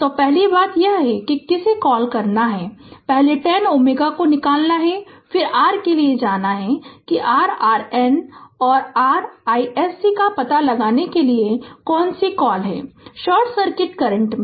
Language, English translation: Hindi, So, first thing is that you have to ah what you call, you have to first ah take the 10 ohm out, then you have to go for your what you call that your ah finding out your R N and your ah i s c, i n short circuit current right